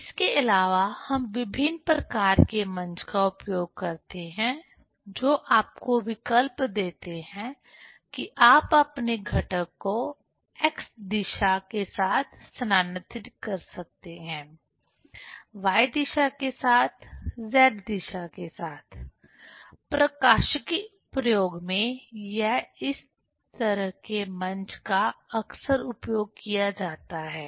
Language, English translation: Hindi, Also we use different kind of stages: with option that you can move your component along the x direction, along the y direction, along the z direction; so such type of stage is frequently used in optics experiment